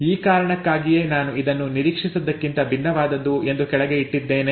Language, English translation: Kannada, That is the reason why I have put it down as something that is different from expected